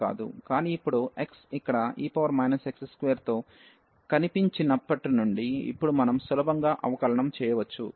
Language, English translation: Telugu, But, now since x has appeared here with e power x square, and now we can easily differentiate